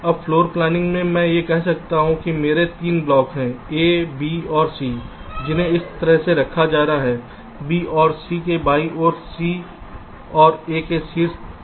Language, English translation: Hindi, now in floor planning i can say that i have three blocks, a, b and c, which has to be placed like this, b on top of c and a to the left of b and c